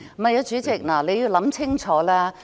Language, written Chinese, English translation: Cantonese, 不，主席，請你想清楚。, No President please give it a second thought